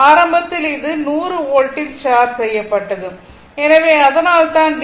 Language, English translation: Tamil, Initially, it was charged at 100 volt, right